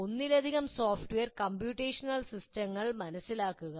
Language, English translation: Malayalam, Learn multiple software and computational systems